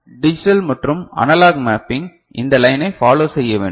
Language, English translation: Tamil, The digital and analog this you know mapping, it should follow this line